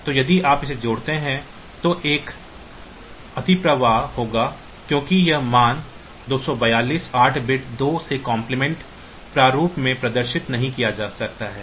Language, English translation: Hindi, So, if you add it then there will be an overflow, because this value 2 4 2 cannot be represented in 8 bit twos complement format